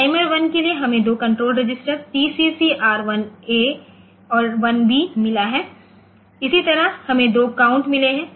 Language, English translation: Hindi, For timer one we have got control register TCCR 1 A and 1 B, there are 2 control registers similarly we have got 2 count